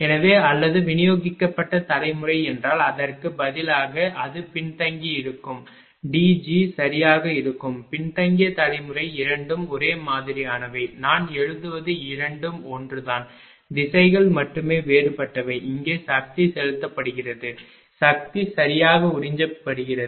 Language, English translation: Tamil, So, or instead of if it is a distributor generation it will be lagging D g right so, lagging generation only both are same whatever I will write both are same, only directions are different here power being injected here power being observed right